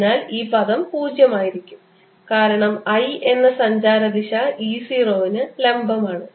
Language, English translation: Malayalam, so this term is zero because i, the propagation direction, is perpendicular to e zero